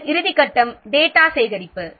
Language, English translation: Tamil, And then final step is data collection